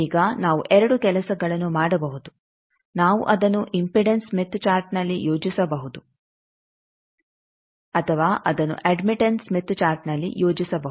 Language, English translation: Kannada, Now there are two things we can do; either we can plot it on an impedance smith chart, or we can plot it on admittance smith chart